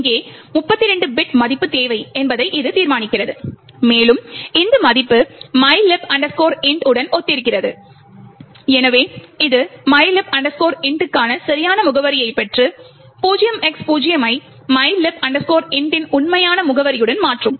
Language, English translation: Tamil, It would determine that here there is a 32 bit value that is required and this value corresponds to the mylib int and therefore it would obtain the correct address for mylib int and replace the 0X0 with the actual address of mylib int